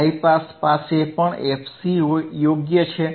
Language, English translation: Gujarati, High pass, high pass also has FC correct